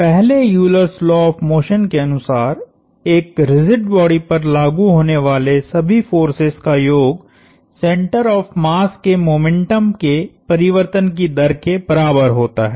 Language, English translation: Hindi, And the first law, the first Euler's law of motion states that the sum of all forces acting on a rigid body is equal to the rate of change of momentum of the center of mass